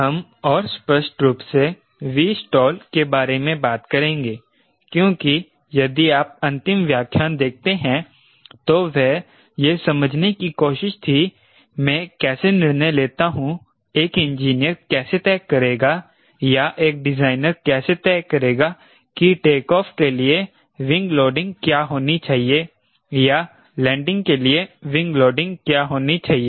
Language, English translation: Hindi, we will be talking about v stall little more explicitly because, if you see the last lecture, it was an attempt to understand how do i decide how a, how an engineer we will decide, or a designer will decide what should be the wing loading for takeoff or wing loading for landing